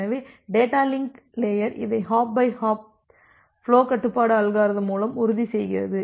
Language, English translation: Tamil, So, the data link layer ensures this hop by hop flow control algorithm